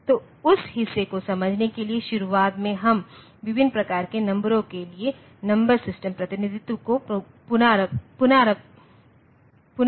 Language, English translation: Hindi, So, to understand that part, at the beginning we will just recapitulate the number system representation for various types of a numbers that we have